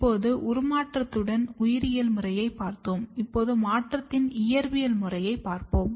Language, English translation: Tamil, Now, we are done with the biological method of transformation then, now we will see the physical method of transformation